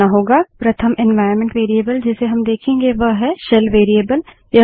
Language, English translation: Hindi, The first environment variable that we would see is the SHELL variable